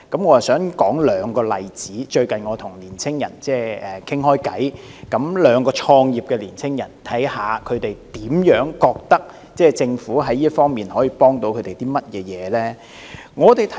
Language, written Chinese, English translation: Cantonese, 我想舉出兩個例子，因為我最近與兩名創業的青年人談話，從中得悉他們對政府在這方面所提供的協助的看法。, I would like to cite two examples because from my recent conversation with two young people who have started their own business I realized how they looked at the assistance provided by the Government in this respect